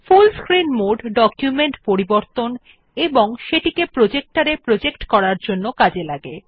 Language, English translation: Bengali, The full screen mode is useful for editing the documents as well as for projecting them on a projector